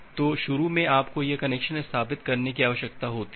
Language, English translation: Hindi, So, initially you need to have this connection establishment